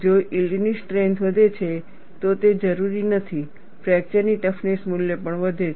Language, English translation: Gujarati, If the yield strength increases, it is not necessary fracture toughness value also increases